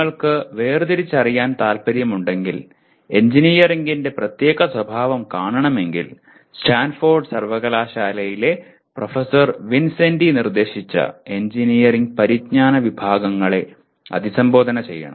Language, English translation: Malayalam, If you want to differentiate, if you want to see the specific nature of engineering one has to address the categories of engineering knowledge as proposed by Professor Vincenti of Stanford University